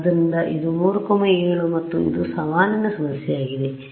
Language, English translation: Kannada, So, this was 3 and this was 7 and this was a challenging problem right